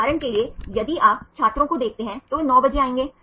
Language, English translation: Hindi, For example, if you see the students they will come at 9 o clock